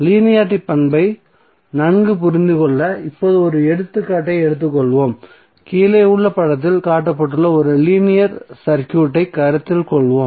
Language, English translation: Tamil, Now let us take one example to better understand the linearity property, let us consider one linear circuit shown in the figure below